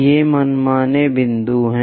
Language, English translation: Hindi, These are arbitrary points